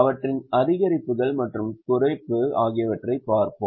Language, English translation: Tamil, We would have a look at increase and decrease